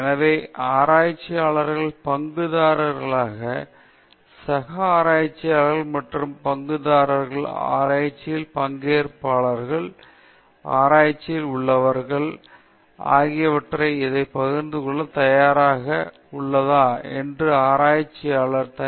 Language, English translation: Tamil, So, whether researchers are ready to share this with others those who are stake holders, the fellow researchers, other stake holders, participants in research, subjects in research, even people who help them in conducting those research, this has to be shared